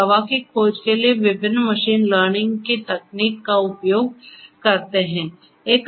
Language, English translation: Hindi, So, that is where they use different machine learning techniques for drug discovery